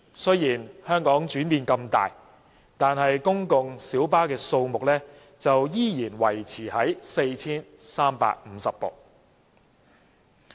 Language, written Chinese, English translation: Cantonese, 雖然香港的轉變那麼大，但公共小巴數目的上限卻仍然維持在 4,350 部。, Although there have been significant changes in Hong Kong the cap on the number of PLBs has been maintained at 4 350